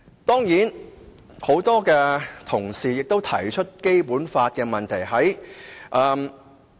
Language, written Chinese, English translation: Cantonese, 當然，很多同事也提出《基本法》的問題。, Of course many Honourable colleagues have raised questions about the Basic Law too